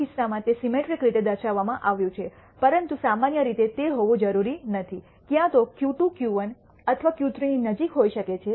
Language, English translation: Gujarati, In this case its shown as symmetric, but generally need not be, either Q 2 might be closer to Q 1 or Q 3